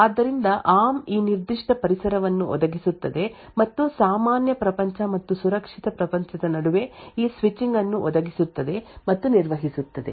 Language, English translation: Kannada, So, ARM provides this particular environment and provides and manages this switching between normal world and secure world